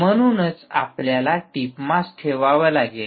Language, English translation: Marathi, this is why you have to put the tip mass